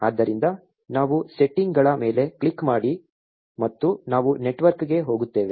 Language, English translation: Kannada, So, we click on settings and we go to network